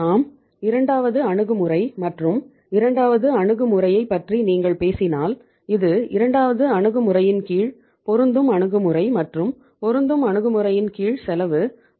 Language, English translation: Tamil, Second approach we had and if you talk about the second approach under the second approach which was the matching approach and under the matching approach the cost had come down to uh Rs